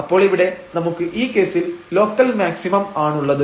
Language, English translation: Malayalam, So, we got this point of local minimum